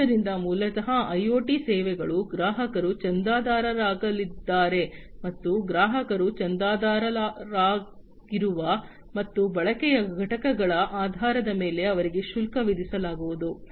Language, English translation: Kannada, So, basically you know IoT services, the customers are going to subscribe to and they are going to be charged based on the units of subscription, that the customer has subscribed to and the units of usage